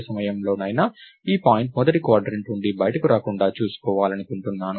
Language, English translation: Telugu, I want to be able to ensure that at no point of time, this point gets out of the first quadrant